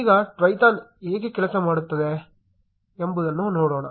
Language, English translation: Kannada, Now let us look at how Twython works